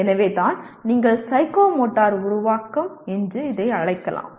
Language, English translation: Tamil, So that is where what you may call as psychomotor creating